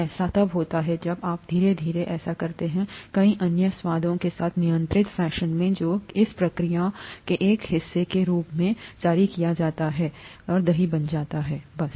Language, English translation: Hindi, That happens quickly when you do that slowly in a controlled fashion with a lot of other flavours that get released as a part of this process then it becomes curd, that’s it